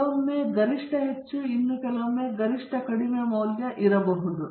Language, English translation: Kannada, Sometimes the optimum can be maximum, and in some other cases optimum may be the lowest value okay